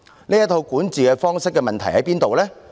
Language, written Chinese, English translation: Cantonese, 這套管治方式有甚麼問題呢？, What is the problem with such a way of governance?